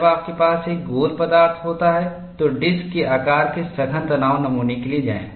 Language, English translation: Hindi, When you have a round stock, go for a disc shaped compact tension specimen